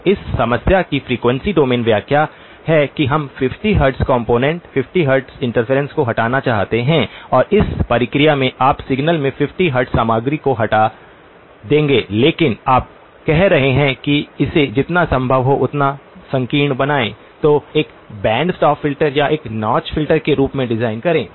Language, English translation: Hindi, So the frequency domain interpretation of this problem is that we want to remove the 50 hertz component, 50 hertz interference and in the process you will remove the 50 hertz content in the signal as well but you are saying make it as narrow as possible so design as tight a band stop filter or a notch filter